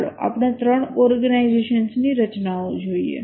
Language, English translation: Gujarati, Let's look at three organization structures